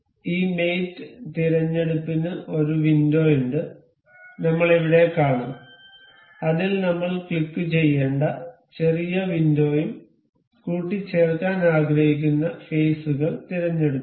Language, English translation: Malayalam, We will see here this mate selections has a window, small window we have to click on that and select the faces we want to do we want to mate